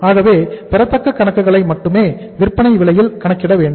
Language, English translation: Tamil, Now when you calculate the accounts receivable we will be taking here at the selling price